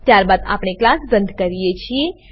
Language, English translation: Gujarati, Then we close the class